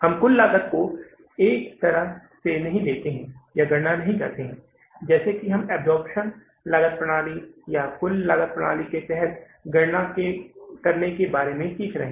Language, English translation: Hindi, We don't take or calculate the total cost in a way as we have been learning about to calculate under the absorption costing system or the total costing system